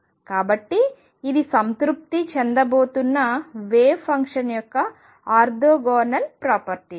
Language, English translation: Telugu, So, this is the orthogonal property of wave function which is going to be satisfied